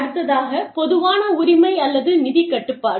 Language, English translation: Tamil, Common ownership or financial control